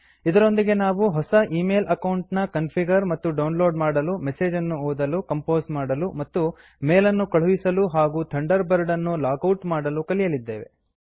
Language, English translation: Kannada, We also learnt how to: Configure a new email account, Compose and send mail messages, Receive and read messages, Log out of Thunderbird